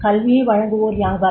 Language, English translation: Tamil, Who provides education